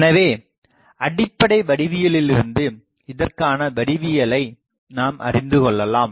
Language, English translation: Tamil, So, from the basic geometry now we will derive the geometry of this thing